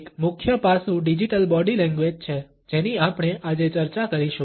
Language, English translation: Gujarati, One major aspect is digital body language, which we would discuss today